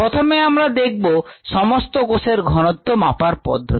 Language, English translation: Bengali, let us first look at the methods to measure total cell concentration